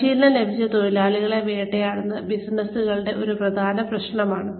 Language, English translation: Malayalam, Poaching trained workers is a major problem for businesses